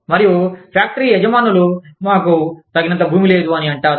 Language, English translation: Telugu, And, the factory owners say, well, we do not have enough land